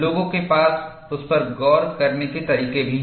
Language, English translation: Hindi, People also have methodologies to look at that